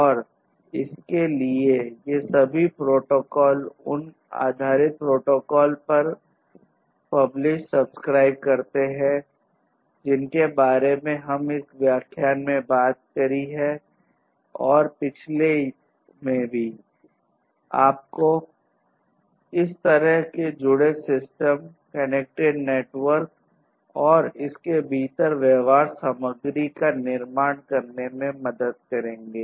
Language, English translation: Hindi, And for this, all these protocols these publish, subscribe based protocols that we have talked about in this lecture and the previous one these will help you to build this kind of connected system, connected network, and the behaviors content within it